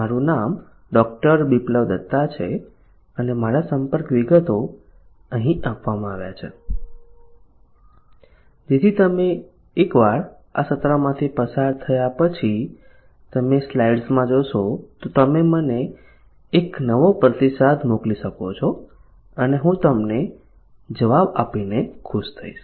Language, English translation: Gujarati, Biplab Datta and my contacts are given here so that once you view in the slides once you go through this session you can send me a new feedback that you have and I will be happy to respond to them